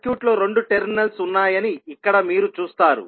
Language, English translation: Telugu, So here you will see that circuit is having two terminals